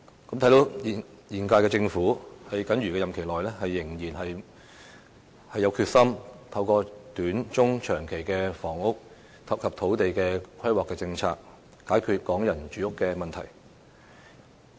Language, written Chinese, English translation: Cantonese, 由此可見，現屆政府在僅餘的任期內仍然有決心透過短、中、長期的房屋及土地規劃政策，解決港人的住屋問題。, It can be seen from this that the current Government is still determined to resolve the housing problem for Hong Kong people in the mere remainder of its tenure through short - medium - and long - term policies on housing and land planning